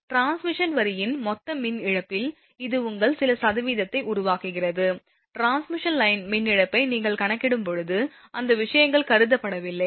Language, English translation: Tamil, It makes your some percentage of the total power loss of the transmission line, when you are calculating transmission line power loss this thing, those things are not considered